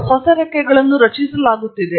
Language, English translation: Kannada, And there are new wings being created